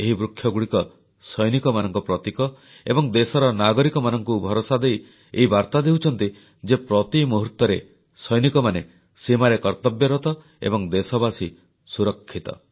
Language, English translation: Odia, These trees represent soldiers and send a reassuring message to the country's citizens that our soldiers vigilantly guard borders round the clock and that they, the citizens are safe